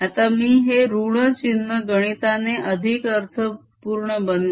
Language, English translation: Marathi, now i'll make this minus sign mathematically meaningful